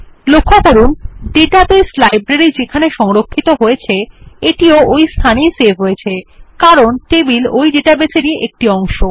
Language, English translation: Bengali, Type Books in the table name text box Note that it is saved in the same location as the database Library as tables are a part of a database